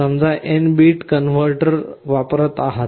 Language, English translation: Marathi, Suppose you are using an n bit converter